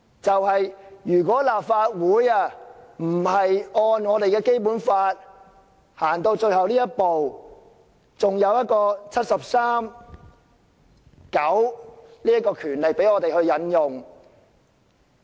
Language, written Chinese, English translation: Cantonese, 幸好立法會還可按照《基本法》走到最後這一步，還有第七十三條第九項賦予我們權力進行調查。, Fortunately the Legislative Council can still take this final step in accordance with the Basic Law . We still have the powers conferred under Article 739 to conduct investigation